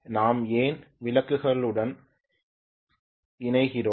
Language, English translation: Tamil, Why do we connect to lamps